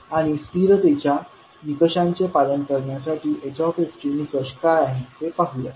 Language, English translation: Marathi, And let us see what is the criteria for this h s to follow the stability criteria